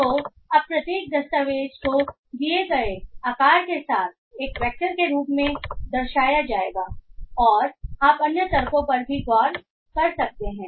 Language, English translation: Hindi, So now each document will be represented as a vector with the given size and you can look into other arguments as well